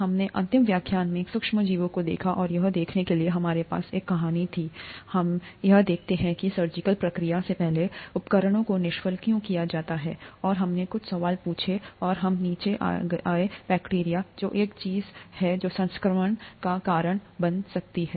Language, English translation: Hindi, We saw in the last lecture, the micro organisms, and to see that we had a storyline, we were looking at why instruments are sterilized before a surgical procedure and we asked a few questions and we came down to bacteria which can cause infection, which is one of the things that can cause infection